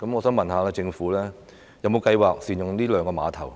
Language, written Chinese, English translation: Cantonese, 請問政府有否計劃善用這兩個碼頭呢？, May I ask whether the Government has any plans for optimizing these two ferry piers?